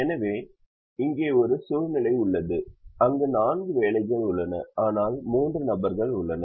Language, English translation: Tamil, so here we have a situation where there are four jobs, but there are three people